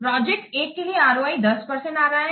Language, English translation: Hindi, So, for project 1, ROI is coming to be 10%